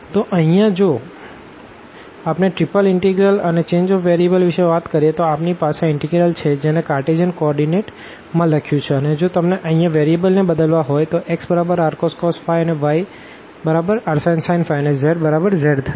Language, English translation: Gujarati, So, here now if we talk about the triple integral and the change of variables; so, we have this integral which is written in the Cartesian coordinates and if you want to make this change of variables here x is equal to r cos phi y is equal to r sin phi and z is equal to z